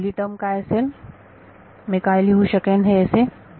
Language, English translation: Marathi, So, the first term what will what I can write this as is